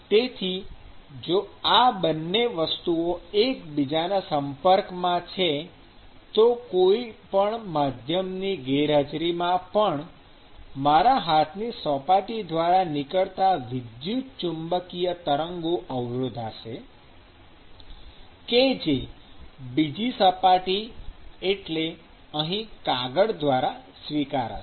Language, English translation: Gujarati, And so, if these 2 are facing each other, then even in the absence of a medium, the electromagnetic waves which is actually emitting from the surface of my hand let us say, would actually intercept and be received by the surface which is actually this paper here